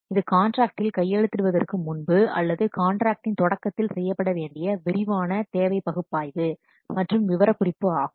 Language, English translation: Tamil, That is the detailed requirements analysis, okay, the detailed requirement analysis and specification, it must have to be done before this signing the contract or at the beginning of the contract